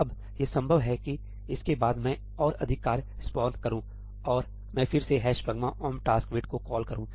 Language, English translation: Hindi, Now, it is possible that after this I spawn more tasks and I again call ‘hash pragma omp taskwait’ right